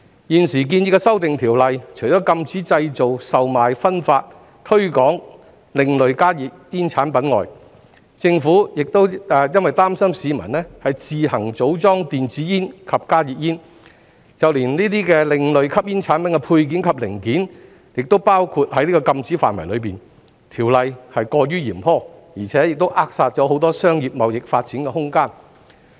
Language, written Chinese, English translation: Cantonese, 現時建議的修訂，除禁止製造、售賣、分發、推廣另類加熱煙產品外，政府因擔心市民自行組裝電子煙及加熱煙，就連該等另類吸煙產品的配件及零件，亦包括在禁止範圍內，條例是過於嚴苛，並扼殺很多商業貿易發展的空間。, In the present proposed amendments apart from the prohibition of the manufacture sale distribution and promotion of alternative smoking products even the accessories and parts of such alternative smoking products are included in the ban because the Government is concerned that members of the public may assemble e - cigarettes and HTPs on their own . The legislation is too harsh and will stifle the room for development of many businesses and trades